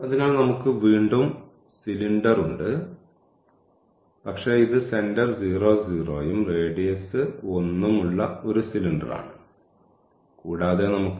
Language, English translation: Malayalam, So, again we have the cylinder, but it is it is a cylinder with center 0 0 and radius 1 and we have this z is equal to x y we want to get the surface area